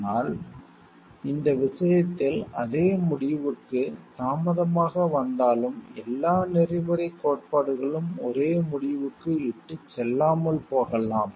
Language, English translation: Tamil, But though in this case, it has late to the same conclusion it may of sometimes happened that all the ethical theories may not lead to the same conclusion also